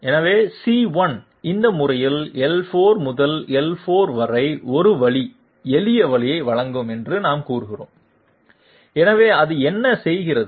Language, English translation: Tamil, So we will say that C1 will provide a one way shortcut from L4 to L5 in this manner, so what does it do